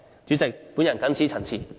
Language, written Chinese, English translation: Cantonese, 主席，我謹此陳辭。, President I so submit . the Beijing loyalists